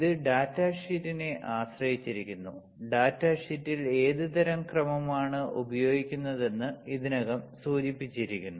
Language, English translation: Malayalam, It also depends on the datasheet; what kind of order it is to use in the data sheet is already mentioned